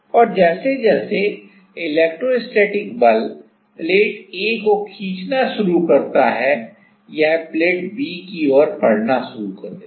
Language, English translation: Hindi, And as the electrostatic force start pulling in start pulling the plate A then it starts to move towards the plate B